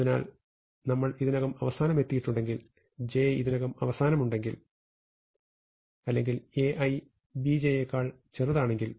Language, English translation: Malayalam, So, if we have already reached the end, if j has already reached the end, or if A i is smaller than B j